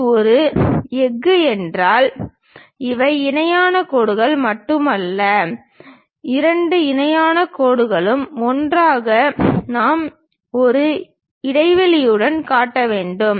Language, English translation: Tamil, If it is a steel, these are not just parallel lines, but two parallel line together we have to show with a gap